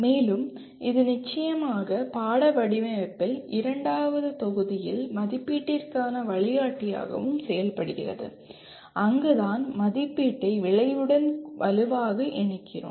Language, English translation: Tamil, And it also acts as a guide for assessment in the second module on course design that is where we strongly link assessment to the outcome